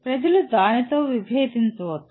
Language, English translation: Telugu, People may disagree with that